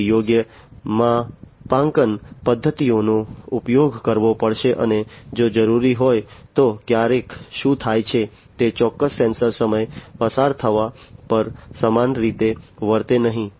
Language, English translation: Gujarati, Then proper calibration methods will have to be used and if required sometimes what happens is certain sensors do not behave the same way over passage of time